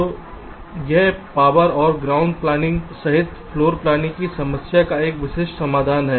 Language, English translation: Hindi, so this is a typical solution to the floor planning problem, including power and ground planning